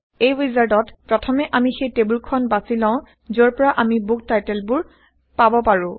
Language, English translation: Assamese, In this wizard, let us first, choose the table from where we can get the book titles